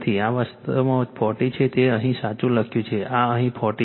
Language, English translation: Gujarati, This is actually 40 it is written here correct this is 40 here right